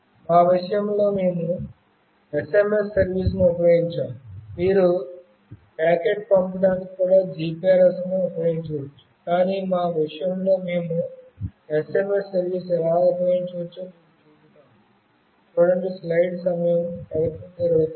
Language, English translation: Telugu, In our case, we have used SMS service; you can also use GPRS service for sending packet as well, but in our case we will show you how we can use SMS service